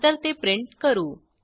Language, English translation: Marathi, and then we print it